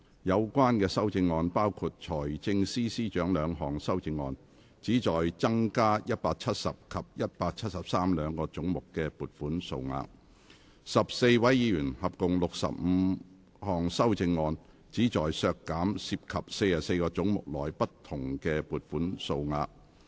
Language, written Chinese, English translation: Cantonese, 有關修正案包括：財政司司長兩項修正案，旨在增加170及173兩個總目的撥款數額；及14位議員合共65項修正案，旨在削減涉及44個總目內不同的撥款數額。, The amendments include the Financial Secretarys two amendments seeking to increase the sums for heads 170 and 173; and a total of 65 amendments proposed by 14 Members seeking to reduce the various sums for 44 heads